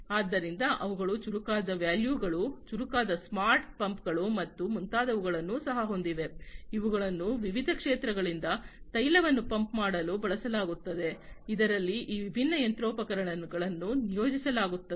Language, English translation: Kannada, So, they also have smarter valves, smarter smart pumps and so on, which are used to pump out oil from the different fields, in which these different machinery are deployed